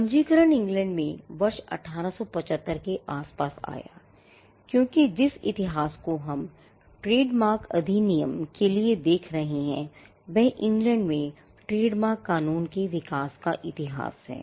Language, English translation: Hindi, Registration came around the year 1875 in England because, the history that we are looking at for the trademarks act is the history of the evolution of trademark law in England